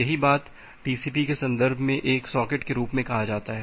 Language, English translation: Hindi, The same thing is a termed as a socket in the context of the TCP